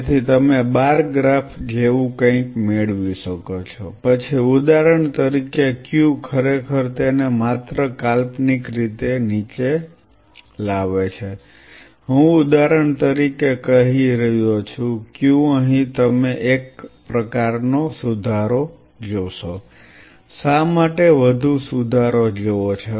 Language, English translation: Gujarati, So, you can have the bar graph like this something like this, then say for example, Q really brings it down just hypothetically I am just putting say for example, Q here you see some sort of an improvement in say why you see a much more improvement and here you see some improvement or something not ok